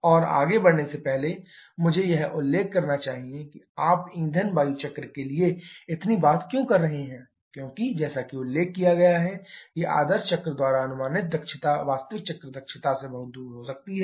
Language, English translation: Hindi, And before moving any further I should mention why you are talking so much for the fuel air cycle because as a just mentioned that efficiency predicted by the ideal cycle can be far off from the actual cycle efficiency